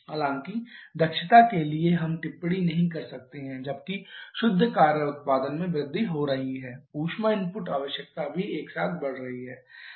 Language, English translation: Hindi, However for efficiency we cannot comment while the net work output require output is increasing heat input requirement is also increasing simultaneously